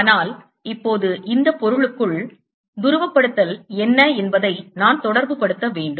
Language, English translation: Tamil, but now i need to relate what the polarization inside this material is